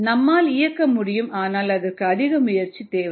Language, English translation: Tamil, ah, you can, but it takes a lot more effort